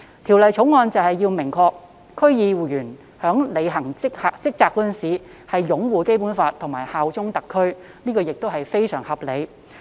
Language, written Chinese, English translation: Cantonese, 《條例草案》旨在訂明區議員在履行職責時須擁護《基本法》和效忠特區，這亦是非常合理。, It is thus very reasonable for the Bill to prescribe that DC members shall uphold the Basic Law and bear allegiance to HKSAR in the discharge of their duties